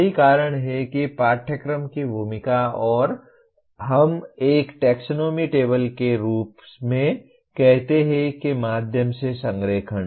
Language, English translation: Hindi, That is what the role of course outcomes and the alignment through what we call as a taxonomy table